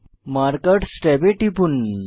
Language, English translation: Bengali, Click on Markers tab